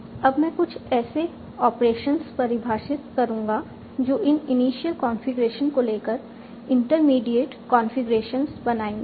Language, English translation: Hindi, Now I will define some operations that I can make on this initial configuration